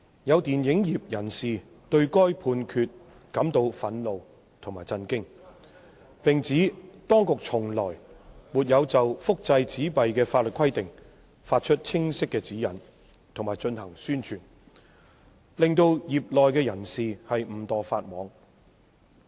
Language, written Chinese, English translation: Cantonese, 有電影業人士對該判決感到憤怒及震驚，並指當局從來沒有就複製紙幣的法律規定發出清晰指引及進行宣傳，令業內人士誤墮法網。, Angered and shocked by the judgment some members of the film industry pointed out that the authorities had never issued clear guidelines on the legal requirements for reproduction of banknotes nor had they carried out publicity in this respect resulting in members of the industry breaching the law inadvertently